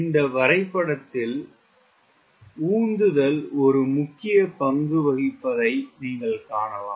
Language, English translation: Tamil, in this diagram you could see the thrust plays an important rule